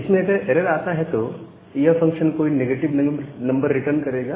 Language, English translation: Hindi, So, all this function if there is an error, they return some negative number